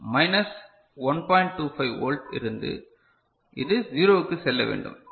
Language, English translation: Tamil, 25 volt it has to go to 0